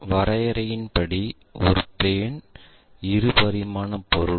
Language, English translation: Tamil, Plane by definition is a two dimensional object